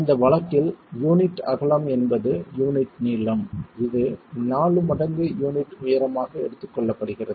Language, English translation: Tamil, In this case, the unit width is, the unit length is taken as four times the height of the unit itself